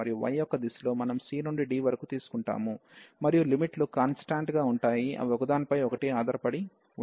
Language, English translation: Telugu, And in the direction of y we are wearing from c to d and the limits are constant they are not depending on each other